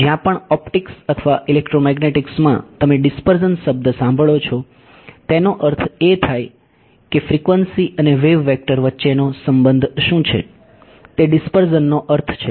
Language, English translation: Gujarati, Wherever in optics or electromagnetics you here the word dispersion it means what is the relation between frequency and wave vector that is what is meant by dispersion ok